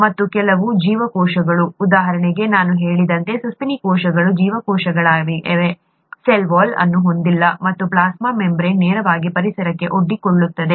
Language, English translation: Kannada, And some cells such as, as I mentioned, the mammalian cells are cells, do not have a cell wall and the plasma membrane is directly exposed to the environment